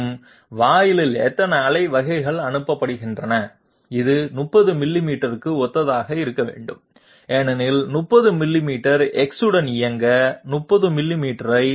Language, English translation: Tamil, And how many pulses are being you know pass through at the AND gate, it must be equal to it must be corresponding to 30 millimeters because 30 millimeters is the movement along X, divide 30 millimeters by 0